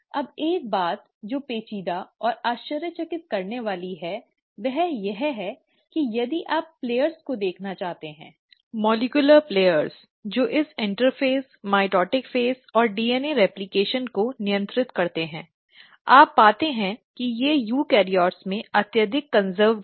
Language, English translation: Hindi, Now, one thing which is intriguing and surprising rather, is that if you were to look at the players, the molecular players which govern this interphase, mitotic phase and DNA replication, you find that they are highly conserved in eukaryotes